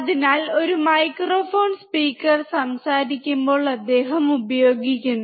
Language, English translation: Malayalam, So when a speaker is speaking, he is using microphone